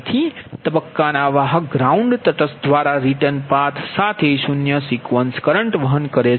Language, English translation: Gujarati, so the phase conductors carry zero sequence current, with written first through a ground neutral, grounded neutral